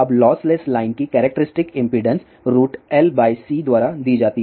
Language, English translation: Hindi, Now characteristic impedance of a lossless line is given by square root L by C